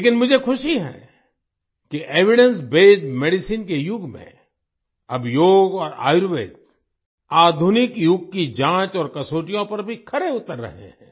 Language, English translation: Hindi, But, I am happy that in the era of Evidencebased medicine, Yoga and Ayurveda are now standing up to the touchstone of tests of the modern era